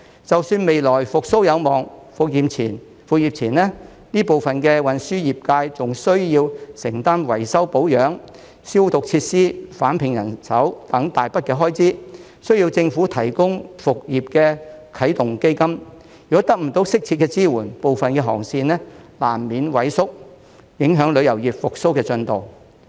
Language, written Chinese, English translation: Cantonese, 即使未來復蘇有望，復業前，這部分的運輸業界仍需要承擔維修保養、消毒設施、重聘人手等一大筆開支，需要政府提供復業的啟動基金；如果得不到適切支援，部分的航線難免萎縮，影響旅遊業復蘇的進度。, Even if a recovery is on the horizon these operators of the transport industry still need to bear heavy expenses such as repair and maintenance disinfection of facilities re - employment of staff etc . before the resumption of business and the Government needs to provide a start - up fund for the resumption of business . Without proper support some of the routes will inevitably shrink and affect the progress of recovery of the tourism industry